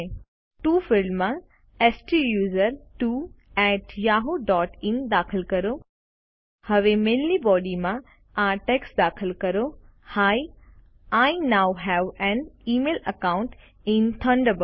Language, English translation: Gujarati, In the To field, lets enter STUSERTWO at yahoo dot in Lets type the text Hi, I now have an email account in Thunderbird